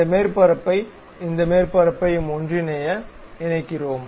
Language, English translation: Tamil, Now, I want to really lock this surface with this surface